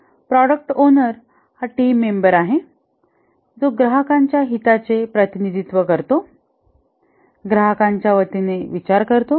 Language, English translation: Marathi, The product owner is a team member who represents the customer's interest